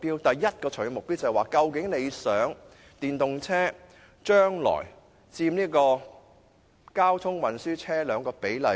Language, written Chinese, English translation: Cantonese, 第一個長遠目標是，究竟政府希望電動車將來在車輛總數中佔一個多大的比例？, First of all what proportion does the Government want electric vehicles represent in the total number of registered vehicles in future?